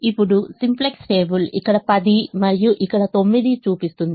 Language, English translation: Telugu, the simplex table shows a ten here and a nine here